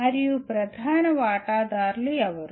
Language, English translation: Telugu, And who are the main stakeholders